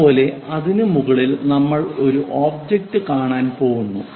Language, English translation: Malayalam, Similarly, on top of that we are going to see this object